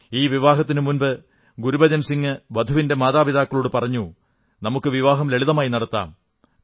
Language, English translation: Malayalam, Gurbachan Singh ji had told the bride's parents that the marriage would be performed in a solemn manner